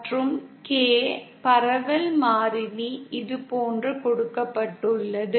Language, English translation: Tamil, And K, the propagation constant is given like this